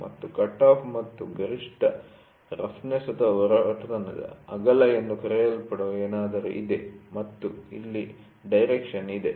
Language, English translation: Kannada, And there is something called as cutoff and maximum roughness width and here is the direction